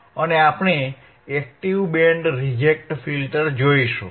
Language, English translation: Gujarati, And we will see active band reject filter, what is